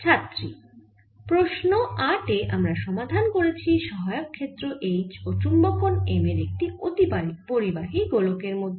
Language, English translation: Bengali, ok, so in question number eight we have solved for the auxiliary field h and the ah magnetization m inside the superconducting sphere